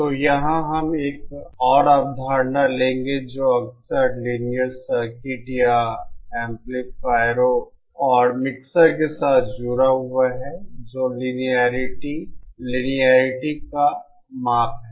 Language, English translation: Hindi, So here we will take yet another concept that is frequently associated with Linear Circuits or amplifiers and mixers which is the Linearity, the measure of Linearity